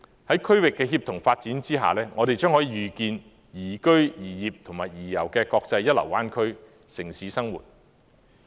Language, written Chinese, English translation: Cantonese, 在區域的協同發展下，我們將可預見宜居、宜業和宜遊的國際一流灣區城市生活。, In the context of regional collaborative development we can foresee an urban life in a first - class international bay area ideal for living working and travelling